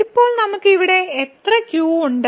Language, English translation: Malayalam, So, now how many ’s we have here